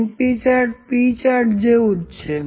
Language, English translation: Gujarati, np chart is similar to the P charts